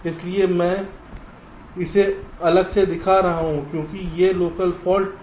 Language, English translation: Hindi, so i am showing it separately because these are the local faults